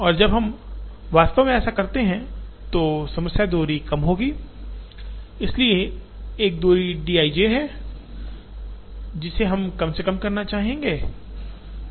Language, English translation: Hindi, And when we actually do up to this, the problem will be to minimize the distance, so there is a distance d i j that we would like to minimize